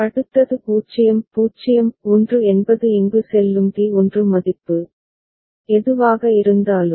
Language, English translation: Tamil, Next is 0 0 1 whatever is the D1 value that will go here